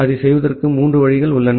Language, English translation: Tamil, There are broadly three ways of doing that